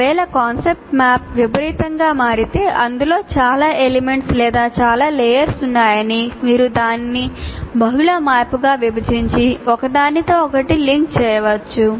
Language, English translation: Telugu, If the concept map becomes unwieldy, there are too many elements, too many layers in that, then you can break it into multiple maps and still link one to the other